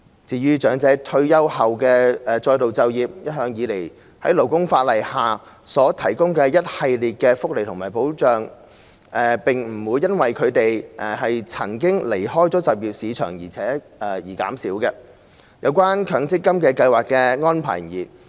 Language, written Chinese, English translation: Cantonese, 如果長者在退休後再度就業，可再次享有在勞工法例下所提供的一系列福利和保障，不會因為他們曾離開就業市場而減少；有關強制性公積金計劃的安排亦然。, Elderly persons re - entering the job market can once again enjoy the series of welfare and protection provided under the labour legislation . Such welfare and protection will not be any less as a result of they having left the job market before . The arrangement is the same for the Mandatory Provident Fund MPF scheme